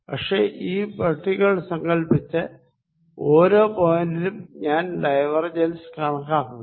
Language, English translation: Malayalam, But, assume these are boxes and at each point I apply to calculate the divergence